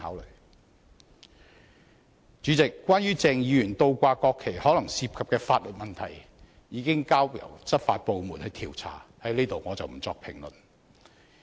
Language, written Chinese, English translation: Cantonese, 代理主席，關於鄭議員倒掛國旗可能涉及的法律問題，已交由執法部門調查，我不在此作評論。, Deputy President regarding the potential legal issues arising from Dr CHENGs inverting the national flags as they are now under investigation by law enforcement agencies I will not comment on them